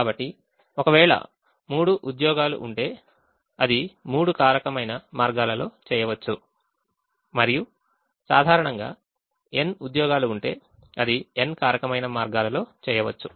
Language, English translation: Telugu, so if there are three jobs, it can be done in three factorial ways, and if there are n jobs in general, it can be done in n factorial ways